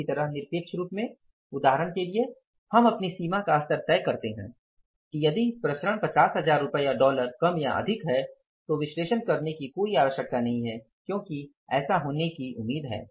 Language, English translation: Hindi, Similarly in the absolute terms for example we decide over threshold level that if the variances are plus minus by 50,000 rupees or dollars then there is no need to analyze because it is expected to happen